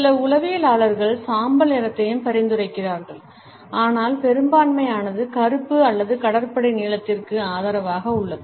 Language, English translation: Tamil, Some psychologists have suggested gray also, but the majority is in favor of black or navy blue